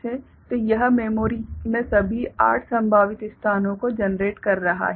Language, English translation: Hindi, So, it is generating all 8 possible locations in the memory right